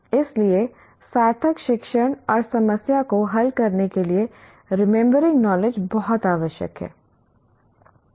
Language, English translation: Hindi, So remembering knowledge is very essential for meaningful learning and problem solving